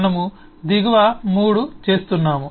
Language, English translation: Telugu, we are doing the bottom 3